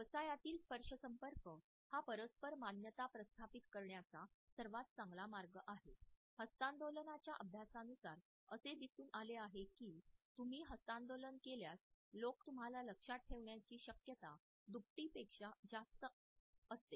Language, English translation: Marathi, In business touch is the quickest way to establish personal approval, a study on handshakes found that people are twice as likely to remember you if you shake hands